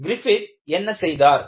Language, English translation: Tamil, And, what did Griffith do